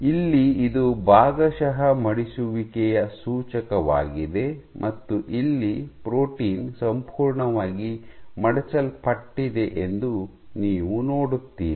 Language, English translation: Kannada, So, here you see that this is indicative of partial folding and here the protein is completely folded